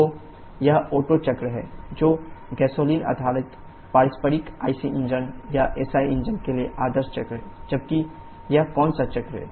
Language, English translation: Hindi, So, this is the Otto cycle which is ideal cycle for gasoline based reciprocating IC engines or the SI engines, whereas which cycle is this